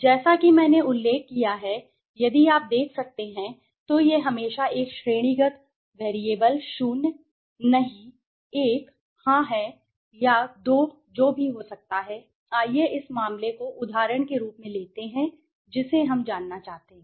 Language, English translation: Hindi, As I have mentioned if you can see so it is always a categorical variable 0, no, 1, yes right or could be 2 whatever, let us take this case example we want to know